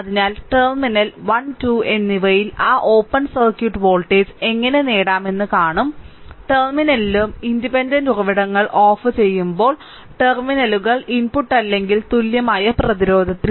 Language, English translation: Malayalam, So, we will see that how to obtain that open circuit voltage at the terminal 1 and 2 that at the terminal right and input or equivalent resistance at the terminals when the independent your sources are turned off